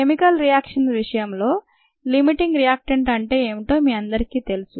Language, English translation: Telugu, you all know what a limiting reactant is